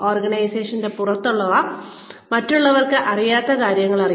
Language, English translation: Malayalam, Know things that others, outside the organization, do not know